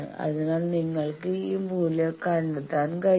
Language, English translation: Malayalam, So, you can find this value